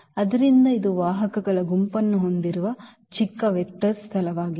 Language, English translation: Kannada, So, this is the smallest vector space containing the set of vectors